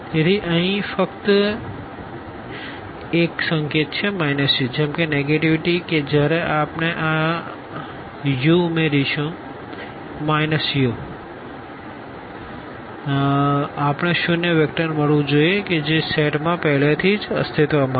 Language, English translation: Gujarati, So, this is just a notation here minus u the negative of u such that when we add this u and this negative of u we must get the zero vector which already exists there in the set